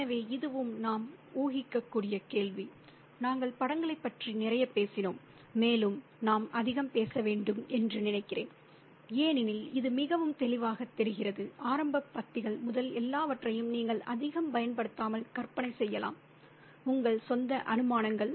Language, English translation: Tamil, And we've talked a lot about the imagery, but I think we have to talk more because it's very evident, everything from the beginning paragraphs, you can actually imagine it without using too many of your own assumptions